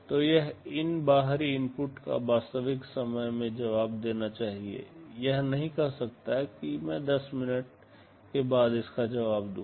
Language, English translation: Hindi, So, it must respond to these external inputs in real time, it cannot say that well I shall respond to this after 10 minutes